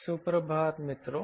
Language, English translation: Hindi, good morning friends